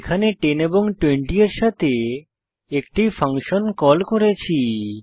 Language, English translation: Bengali, Here, we are calling a function with arguments, 10 and 20